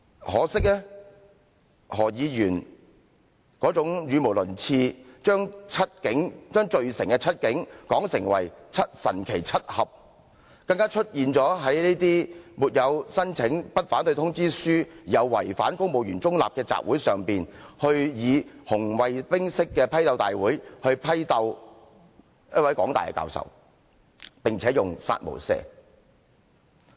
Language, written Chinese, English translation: Cantonese, 可惜，何議員這種語無倫次，將罪成的七警，說成"神奇七俠"，更加出現在沒有申請不反對通知書，又違反公務員中立的集會上，以紅衞兵式的批鬥大會，批鬥一位港大教授，並且用"殺無赦"字眼。, Regrettably Dr HO mindlessly referred to the seven convicted policemen as the Magnificent Seven . Even worse he joined an assembly held without a Letter of No Objection and in violation of civil servants principle of neutrality . Indeed the assembly was held to denounce in a red - guard style a professor at the University of Hong Kong and it was on this occasion that the remark killing with no mercy was made